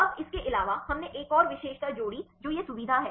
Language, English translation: Hindi, Now, here in addition to that we added the one more feature what is this feature